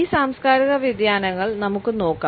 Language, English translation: Malayalam, Let us look at these cultural variations